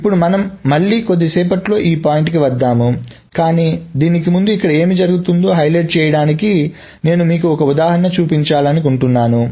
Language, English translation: Telugu, Now just we will come to this point in a little while again, but before that I would just want to show you another example just to highlight what is happening on here